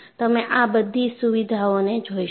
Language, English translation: Gujarati, You would see all these features